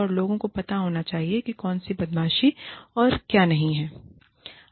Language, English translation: Hindi, And, people should know, what bullying is, and what it is not